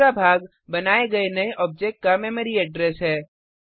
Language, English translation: Hindi, The second part is the memory address of the new object created